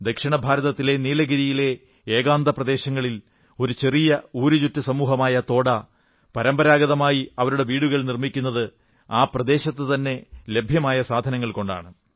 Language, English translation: Malayalam, In the isolated regions of the Nilgiri plateau in South India, a small wanderer community Toda make their settlements using locally available material only